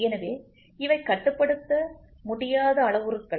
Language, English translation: Tamil, So, these are uncontrollable parameters